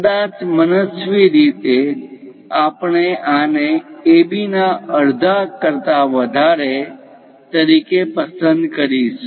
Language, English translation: Gujarati, Perhaps arbitrarily, we are going to pick this one as the greater than half of AB